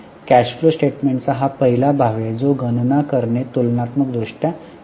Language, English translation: Marathi, This is the first part of cash flow statement which is comparatively complicated to calculate and it is a lengthier part